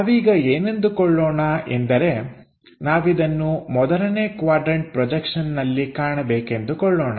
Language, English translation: Kannada, Let us call and we would like to visualize this in the first quadrant projection